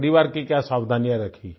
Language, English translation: Hindi, What precautions were there for family